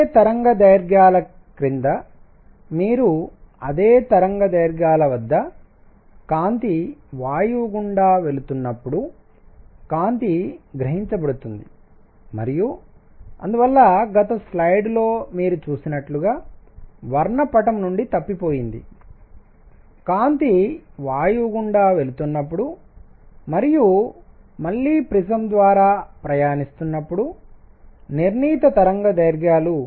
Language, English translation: Telugu, Under the same wavelengths, when you let up light pass through gas at the same wavelengths, the light is absorbed and therefore, that was missing from the spectrum as you saw in the previous slide that when the light was passed through gas and then again pass through prism certain wavelengths